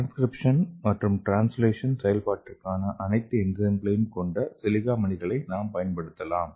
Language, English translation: Tamil, So we can use the silica beads okay, that will have the all the enzyme for your transcription and translation and it can also act like a transcription and translation machinery